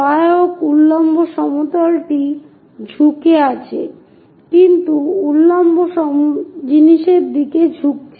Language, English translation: Bengali, Auxiliary vertical plane is also inclined, but inclined to vertical thing